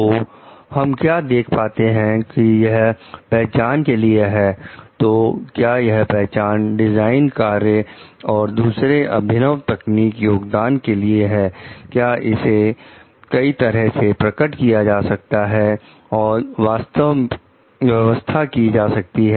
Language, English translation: Hindi, So, what we find is that recognition for a; so, what we find is that, recognition for a design work and other innovative technical contributions, is manifest in a variety of ways and settings